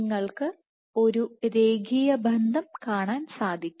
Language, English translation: Malayalam, So, you should see a linear relationship